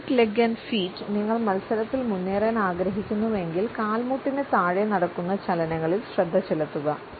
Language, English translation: Malayalam, Topic legs and feet, if you want to leg up on your competition pay attention to what is going on below the knees